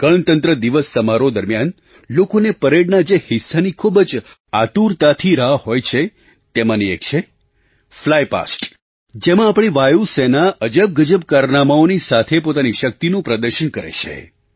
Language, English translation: Gujarati, One of the notable features eagerly awaited by spectators during the Republic Day Parade is the Flypast comprising the magnificent display of the might of our Air Force through their breath taking aerobatic manoeuvres